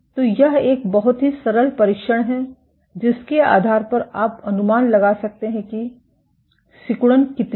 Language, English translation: Hindi, So, this is a very simple assay based on which you can estimate how much is the contractility